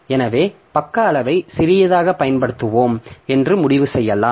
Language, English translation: Tamil, So, we may decide that we will use page size to be small